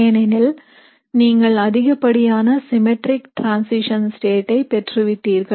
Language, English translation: Tamil, And this is because you got the most symmetric transition state